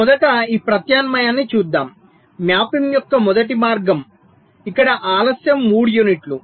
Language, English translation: Telugu, lets look at ah, this alternative, the first way of mapping, where delay is three units